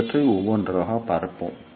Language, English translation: Tamil, Let us see these things one by one